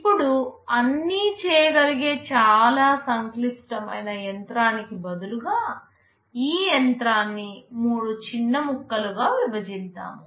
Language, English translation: Telugu, Now let us assume that instead of a single very complex machine that can do everything, let me divide this machine into three smaller pieces